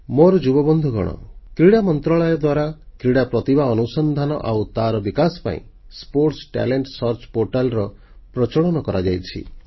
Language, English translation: Odia, Young friends, the Sports Ministry is launching a Sports Talent Search Portal to search for sporting talent and to groom them